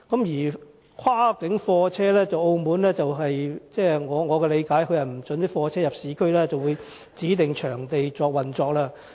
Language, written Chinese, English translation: Cantonese, 在跨境貨車方面，據我理解，澳門不准貨車進入市區，只可在指定場地運作。, Regarding cross - boundary goods vehicles as I understand it goods vehicles are not permitted to enter the urban areas of Macao and they can only operate at designated locations